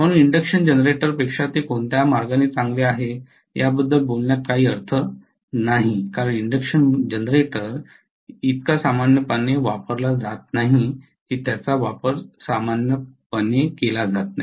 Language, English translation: Marathi, So there is no point on talking about in what way it is better than induction generator because induction generator is hardly ever used they are not used very commonly